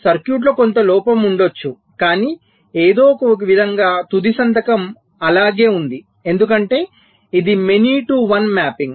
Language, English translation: Telugu, but it may so happen that there was some fault in the circuit, but somehow the sig final signature remained the same because its a many to one mapping